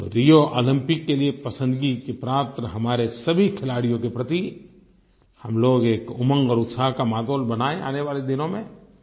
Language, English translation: Hindi, For all the selected candidates for the Rio Olympics, and for our favourite sportspersons, we should create a cheerful and positive atmosphere